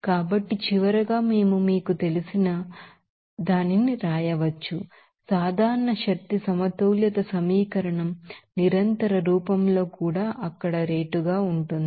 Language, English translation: Telugu, So, finally we can write this you know, General energy balance equation even in continuous form as the rate there